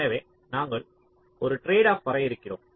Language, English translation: Tamil, so we are defining a tradeoff